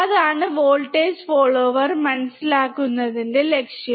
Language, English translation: Malayalam, That is the goal of understanding voltage follower